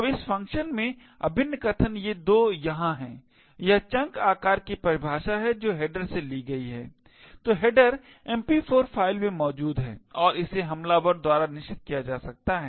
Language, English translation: Hindi, Now the integral statements in this function over here are these 2 here it is definition of chunk size which is taken from the header, so the header is present in the MP4 file and could be set by the attacker